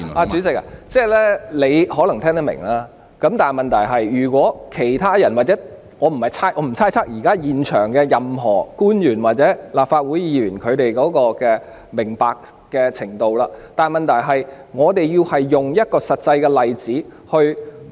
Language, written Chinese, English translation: Cantonese, 主席，你可能聽得明白，但如果其他人或者......我不會猜測現場任何一位官員或立法會議員明白的程度，但問題是，我們要用一個實際例子來證明......, Chairman you may have understood my viewpoint but what if other people or I will not speculate about the level of understanding of any government officials or Council Members present . Yet I need to cite a real case to prove that